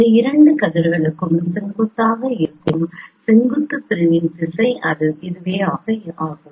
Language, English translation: Tamil, Then this is the direction of the perpendicular segment which is perpendicular to both of these rays